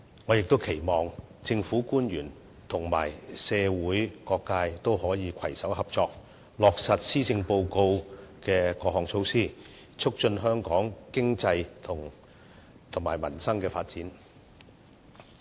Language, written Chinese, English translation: Cantonese, 我亦期望政府官員和社會各界可以攜手合作，落實施政報告的各項措施，促進香港的經濟及民生發展。, I also hope that government officials and different sectors of the community will work together for the implementation of initiatives proposed in the Policy Address to promote economic development and improve the livelihood of Hong Kong people